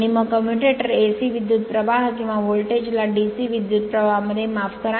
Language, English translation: Marathi, And then commutator converts AC current or voltage to a DC current right sorry